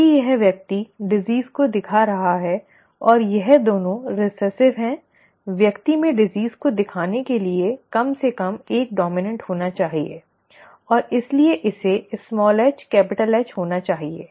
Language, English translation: Hindi, Since this person is showing the disease and this is both recessive, it has to be at least one dominant for the person to show the disease and therefore this has to be small h and capital H